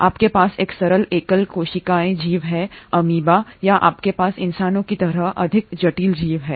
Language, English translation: Hindi, You have a simple, single celled organism like amoeba or you have a much more complex organism like human beings